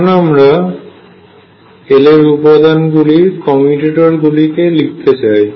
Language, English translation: Bengali, Let us write these commutators of L components